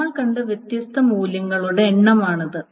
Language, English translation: Malayalam, This is the number of distinct values that we have seen